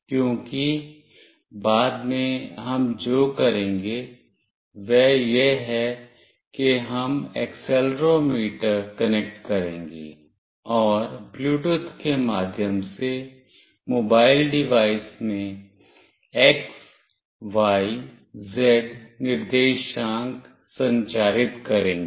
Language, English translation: Hindi, Because later what we will do is that we will connect accelerometer, and will transmit the x, y, z coordinates through Bluetooth to the mobile device